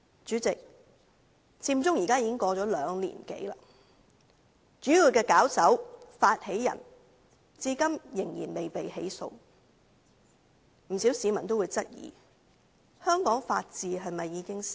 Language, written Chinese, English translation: Cantonese, 主席，佔中事件已經過了兩年多，主要的發起人至今仍然未被起訴，不少市民均質疑，香港是否法治已死？, President it has been two - odd years since the Occupy Central incident . So far the main organizers have not yet been prosecuted . Many members of the public have queried whether the rule of law in Hong Kong has come to an end